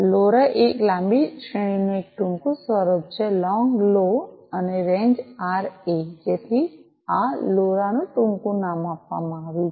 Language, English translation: Gujarati, Lora is a short form of long range; long Lo, and range Ra so that is how this LoRa is has been acronymed